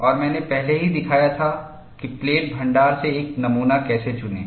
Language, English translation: Hindi, And I had already shown how to select a specimen from plate stock